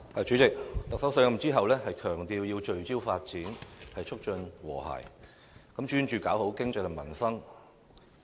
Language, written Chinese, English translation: Cantonese, 主席，特首上任後強調要聚焦發展，促進和諧，專注經濟和民生。, President after assuming office the Chief Executive emphasizes that she wants to focus on development promote harmony and concentrate on the economy and peoples livelihood